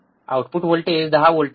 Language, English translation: Marathi, Voltage output voltage is 10 volts